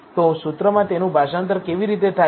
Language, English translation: Gujarati, So, how is it translated to a formula